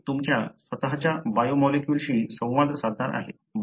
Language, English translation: Marathi, It is going to interact with your own biomolecules